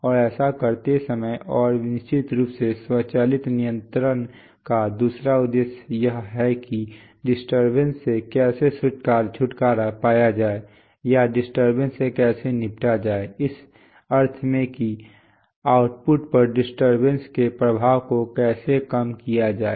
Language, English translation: Hindi, And while doing it and of course, the other objective of automatic control is how to get rid of the disturbances or rather how to tackle the disturbances, in the sense that how to reduce the effects of the disturbances on the output